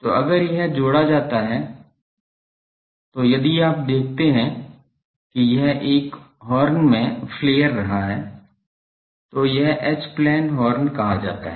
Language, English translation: Hindi, So, if that gets paired so, if you see that this one is getting flared in a horn, this is called H plane Horn